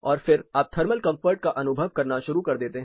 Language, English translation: Hindi, And beyond this response you start perceiving thermal comfort